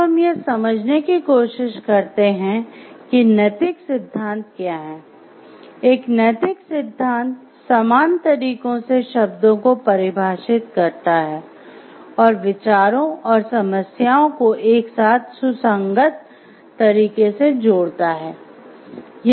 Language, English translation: Hindi, So, next we try to understand what is a moral theory; a moral theory defines terms in uniform ways and links idea and problems together in consistent ways